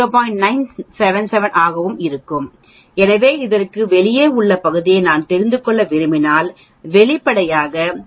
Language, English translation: Tamil, 977, so if I want to know the area outside this then obviously 1 minus 0